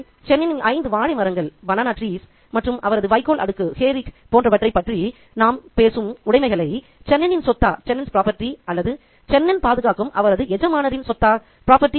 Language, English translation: Tamil, So that possessions that we are talking about in terms of Chenin, such as his five banana trees and his hair rig, are those Chenins or are those the property of his master that Chenin is guarding